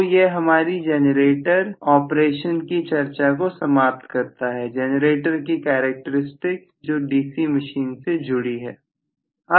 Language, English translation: Hindi, So, this essentially completes our discussion on the generator operation and the generator characteristic as far as the DC machine is concerned